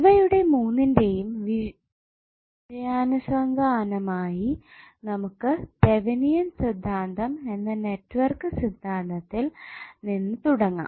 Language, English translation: Malayalam, So with the reference of these three important properties of the circuit let us start the network theorem which is called as thevenins theorem